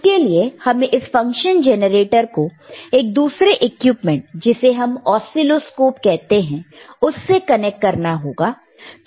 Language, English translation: Hindi, So, fFor that we have to connect this function generator to the another equipment called oscilloscope